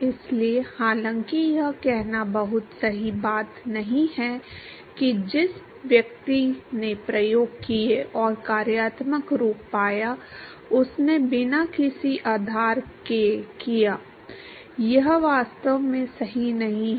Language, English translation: Hindi, So, although it is not a very correct thing to say that the person who did the experiments and found the functional form, did it without any basis, that is not correct actually